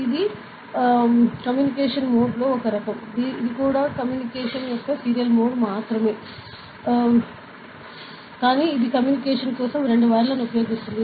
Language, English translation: Telugu, So, this is a different mode of communication, this is also serial mode of communication only; but it uses 2 wires, for the 2 wires for communication